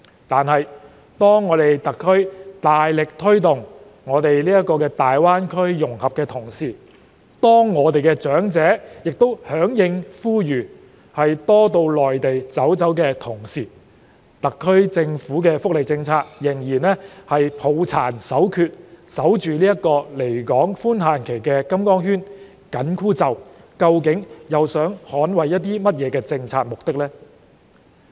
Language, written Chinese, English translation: Cantonese, 然而，當特區大力推動大灣區融合，我們的長者也響應呼籲，多到內地走走的時候，特區政府的福利政策仍然抱殘守缺，緊守這個離港寬限期的金剛圈、緊箍咒，究竟是要捍衞甚麼政策目的呢？, Nonetheless when the SAR vigorously promotes integration with the Greater Bay Area the elderly persons in Hong Kong have responded to the appeal and visited the Mainland more often but the welfare policy of the SAR Government still sticks to the old rut and fails to break the magic spell of permissible limit of absence from Hong Kong . What policy objectives does it seek to defend?